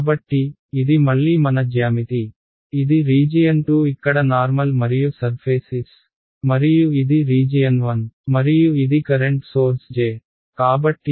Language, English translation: Telugu, So, this is our geometry again, this is my region 2 with the normal over here and surface S and this is my region 1 and this is my current source J